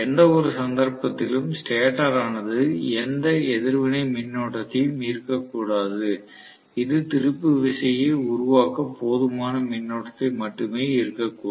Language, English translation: Tamil, In which case the stator may not really draw any reactive current at all, it may just draw the current which is sufficient enough to produce the torque that is it, nothing more than that